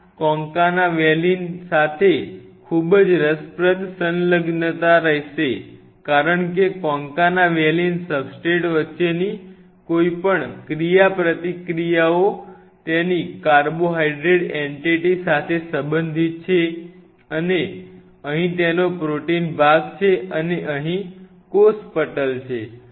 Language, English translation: Gujarati, There will be a very interesting adhesion with this concana valine because there will be any interactions between the concana valin substrate belong with the carbohydrate entity of it and here is the protein part of it and of course, here is the cell membrane